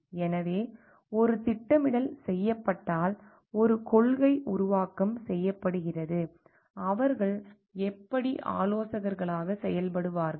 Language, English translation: Tamil, So, if a planning is done a policy making is done, how do they act as advisers